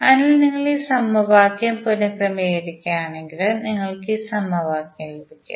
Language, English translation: Malayalam, So, if you rearrange this equation you will simply get this equation